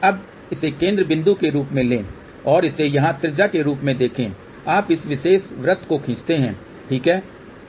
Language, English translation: Hindi, Now, take this as a center point and this as here radius you draw this particular circle, ok